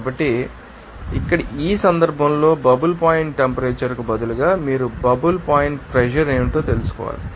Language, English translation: Telugu, So, here in this case instead of bubble point temperature you have to find out what is the bubble point pressure